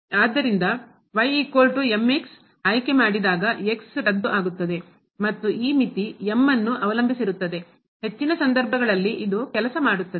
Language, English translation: Kannada, So, choosing is equal to the will get cancel and this limit will depend on m, in most of the cases this will work